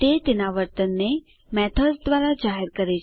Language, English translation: Gujarati, It exposes its behavior through methods